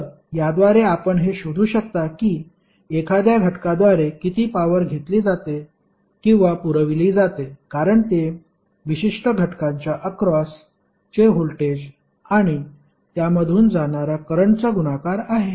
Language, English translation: Marathi, So, by this you can find out how much power is being absorbed or supplied by an element because it is a product of voltage across the element and current passing through that particular element